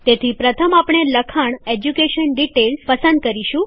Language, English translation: Gujarati, So first select the heading EDUCATION DETAILS